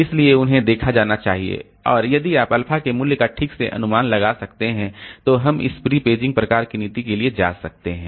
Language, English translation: Hindi, And if we can predict properly the value of alpha, then we can go for this prepaging type of policy